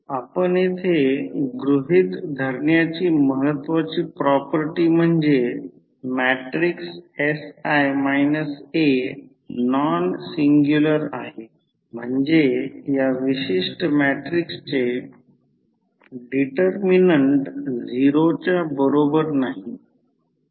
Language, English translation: Marathi, So, the important property which we have to assume here is that the matrix sI minus A is nonsingular means the determent of this particular matrix is not equal to 0